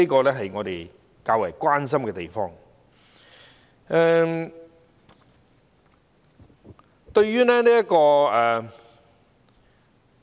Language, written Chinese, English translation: Cantonese, 這是我們較為關心之處。, This is the area that we are more concerned about